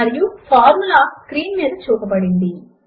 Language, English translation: Telugu, And the formula is as shown on the screen